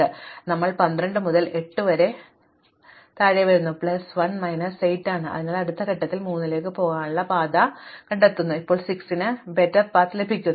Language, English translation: Malayalam, So, we come down from 12 to 8 plus 1 minus is 8, so we continual like this at the next step that path to 3 shrink further and that’s because now having get a better path for 6